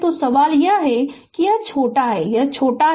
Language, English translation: Hindi, So, question is that your this is shorted this is shorted